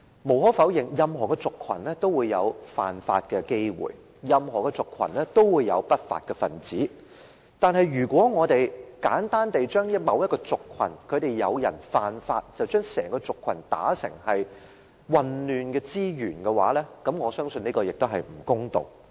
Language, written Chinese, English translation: Cantonese, 無可否認，任何族群也有犯法的機會，任何族群也有不法分子，但如果我們簡單地因為某個族群有人犯法，便把整個族群說成是混亂之源，我相信這是不公道的。, It is undeniable that commission of crimes may occur in any ethnic groups and law - breakers are found in any ethnic groups . However if we jump to the conclusion that a certain ethnic group as a whole is the source of social disorder simply because some people in that particular ethnic group have committed crimes I believe that it is unfair to them